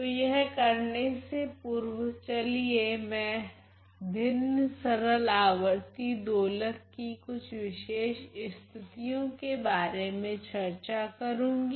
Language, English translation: Hindi, So, before I do that let me just discuss some specific cases of this fractional simple harmonic oscillator